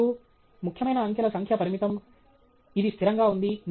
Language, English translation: Telugu, And the number of significant digits is limited, it’s consistent